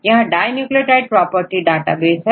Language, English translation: Hindi, So, there is database called dinucleotide property database